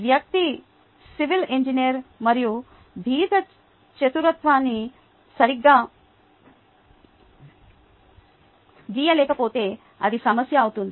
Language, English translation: Telugu, ok, if the person is a civil engineer and cannot draw a rectangle cleanly, then there is a problem, right